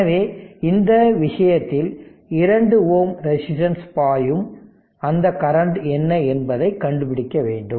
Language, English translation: Tamil, So, in this case you have to find out what is that current through 2 ohm resistance